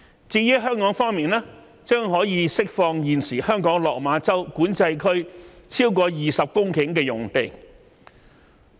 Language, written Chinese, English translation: Cantonese, 至於香港方面，將可以釋放現時香港落馬洲管制站超過20公頃的用地。, In Hong Kong a site of over 20 hectares at the existing Lok Ma Chau Boundary Control Point will be freed up